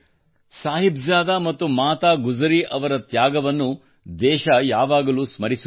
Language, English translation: Kannada, The country will always remember the sacrifice of Sahibzade and Mata Gujri